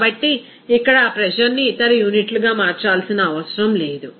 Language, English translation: Telugu, So, simply here, it is not required to convert that pressure into other units